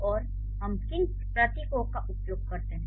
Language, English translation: Hindi, So, and what are the symbols we use